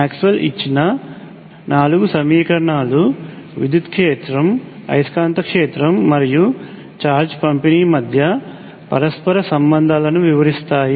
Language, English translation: Telugu, The four equations given to us by Maxwell describe the interrelationships between electric field, magnetic field and charge distribution